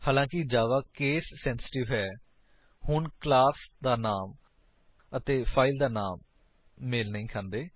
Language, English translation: Punjabi, Since Java is case sensitive, now the class name and file name do not match